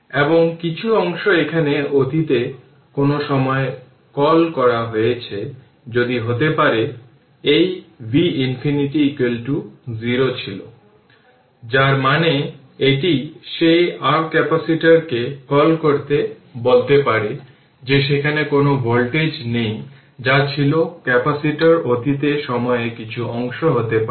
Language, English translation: Bengali, So, and the some part some here what you call sometime in the past that may be this v minus infinity was is equal to 0 right, so that that means, that you are what you call that your capacitor at that you can say that there are there is no voltage that was the capacitor be some part some part of the time in the past right